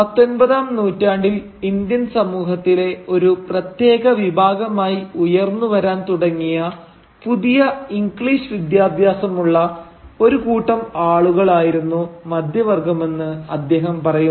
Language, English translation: Malayalam, So, he says that middle class was the new English educated group of people who started emerging as a distinct section of the Indian society during the 19th century